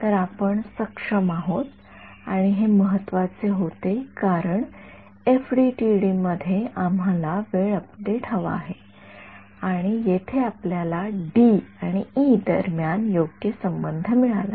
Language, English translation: Marathi, So, we are able to and this was important because in FDTD we want time update and we here we got the correct relation between D and E right